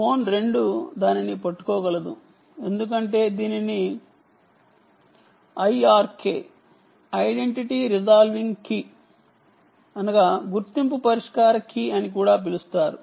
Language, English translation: Telugu, the phone two is able to catch that because it has what is known as a identity resolving key, also called the i r k